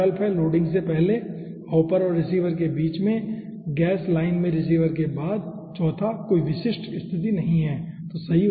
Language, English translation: Hindi, so 4 options are there: before loading, in between hopper and receiver, after receiver in the gas line and third 1, no specific position